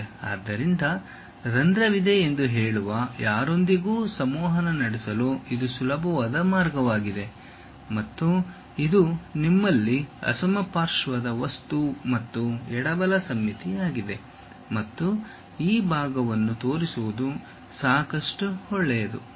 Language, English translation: Kannada, So, it is a easy way of communicating with anyone saying that there also hole and it is a symmetric kind of object and left right symmetry you have and just showing this part is good enough